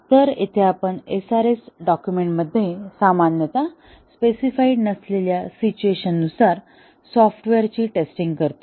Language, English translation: Marathi, So, here we test the software with situations that are not normally specified in the SRS document